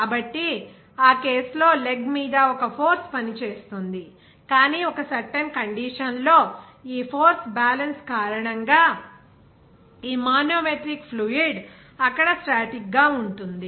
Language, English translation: Telugu, So, in that case on the leg, there will be a force acting, but at a certain condition, this manometric fluid will remain static there because of that force balance